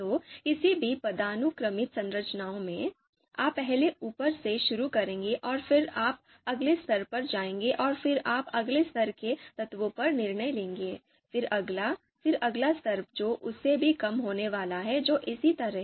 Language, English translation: Hindi, So in any hierarchical structures, you will first start from the top and then you go to the next level and then you will decide on the next level elements of the next level, then next, you know next level which is going to be even lower than that